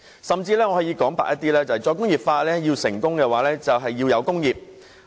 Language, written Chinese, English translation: Cantonese, 說得直接一點，"再工業化"要成功的話，就要有工業。, In straight terms industries are the key to success in re - industrialization